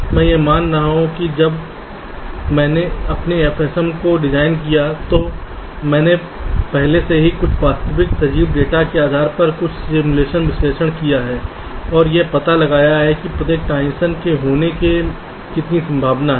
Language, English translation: Hindi, i am assuming that when i have designed my f s m, i have already done some simulation analysis based on some real life kind of data and found out how many or what is the chance of each of the transitions means it turns are occurring